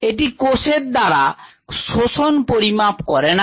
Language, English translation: Bengali, it is not a measure of absorbance by the cell